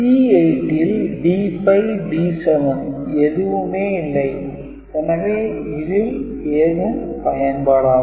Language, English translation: Tamil, And C 8 does not have D 5 or D 7,so it will not detected anything